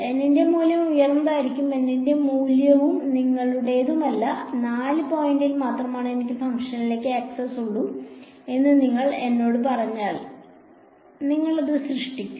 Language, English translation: Malayalam, Value of N will be high, no value of N is up to you; if you tell me that I whole I have access to the function only at 4 points then you will create p 4 x